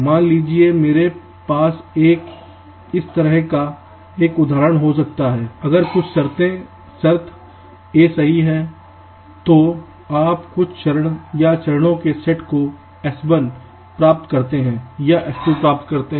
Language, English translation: Hindi, suppose i can have an example like this: if some condition is true, then you carry out some step or set of steps